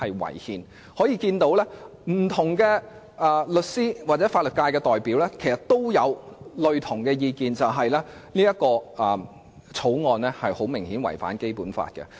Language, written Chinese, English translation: Cantonese, 由此可見，不同的法律界代表的意見相若，就是《條例草案》顯然違反《基本法》。, This shows that different representatives of the legal sector have expressed a similar view that the Bill has blatantly contravened the Basic Law